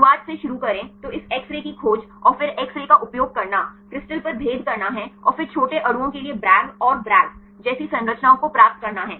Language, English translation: Hindi, Starting from the beginning, the discovery of this X rays and then using X ray is to diffract on crystals right and then for getting this for the small molecules to get the structures like the Bragg and Bragg